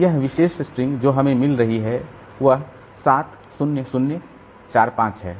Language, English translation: Hindi, So, this particular string that we are getting that is 7 0 0 4 5